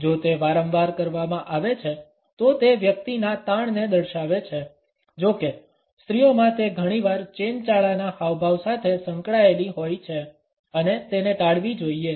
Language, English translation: Gujarati, If it is repeatedly done; it showcases the tension of a person; however, in women it is often associated with a flirtatious gesture and it should be avoided